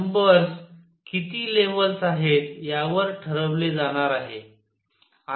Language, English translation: Marathi, Number is going to be decided by how many levels are there